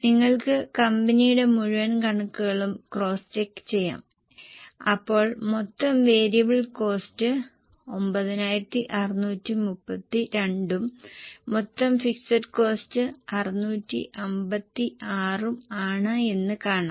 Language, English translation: Malayalam, You can cross check it for the whole company the total variable cost is 9 632 and total fixed cost is 656